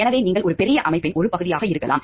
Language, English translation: Tamil, So, that is maybe you are a part of a great organization, big organization